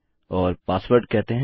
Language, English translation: Hindi, And its called password